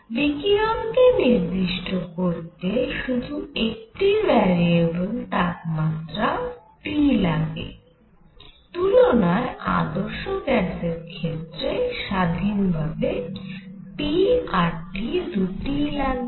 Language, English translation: Bengali, So, radiation is specified by only one variable called the temperature T, unlike; let say an ideal gas that requires p and T, independently